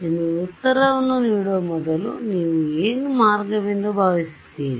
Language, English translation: Kannada, So, before giving you the answer what do you think is the way